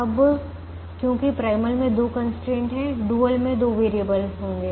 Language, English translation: Hindi, now, since there are two n constraints in the primal, the dual will have two n variables